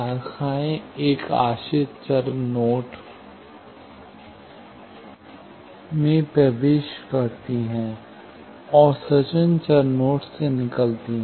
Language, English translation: Hindi, Branches enter a dependent variable node, and emanate from independent variable nodes